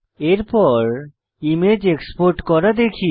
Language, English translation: Bengali, Next, lets learn how to export an image